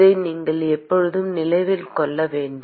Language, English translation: Tamil, You should always remember this